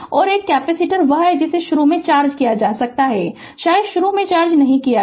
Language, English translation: Hindi, And one is capacitor is there it may be initially charged maybe initially uncharged